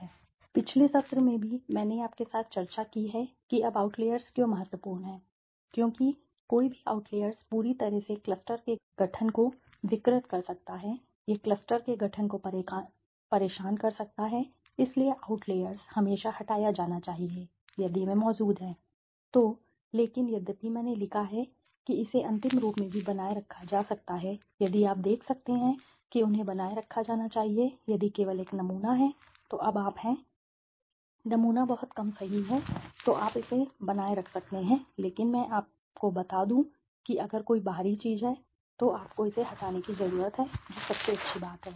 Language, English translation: Hindi, Okay, outliers, now in the last session also I have discussed with you about outliers now why are outliers important, outliers are important because any outlier can completely distort the formation of clusters it can disturb the formation of clusters right, so outliers should be always removed right, if they are present right, so but although I have written it can be retained also in the last if you can see they should be retained if only there is a under sampling now if you are sample is too less right, then you may retain but let me tell you please if there is an outlier you need to remove it the best thing is that